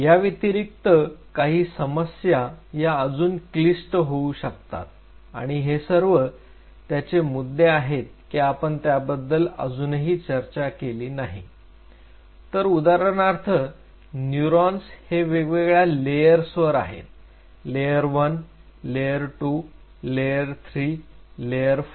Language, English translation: Marathi, Apart from it the problem becomes way more complex and these are the points which I haven in really discussed is say for example neurons are lying in layers layer 1, layer 2, layer 3, layer 4